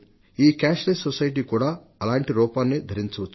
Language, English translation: Telugu, Maybe this cashless society assumes a similar form